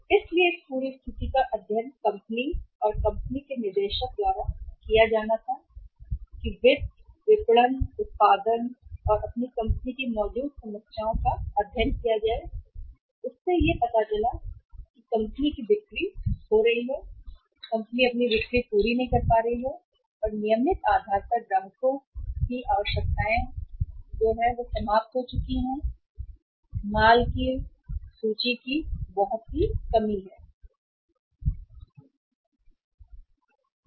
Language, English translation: Hindi, So this entire situation was asked to be studied by the company and companies director of finance, marketing, and production when they studied the problem existing in the company they found out that this all is happening the company is losing the sales or is not able to fulfill the requirements of the customers on the regular basis because there is a shortage of the say finished goods available in the in the inventory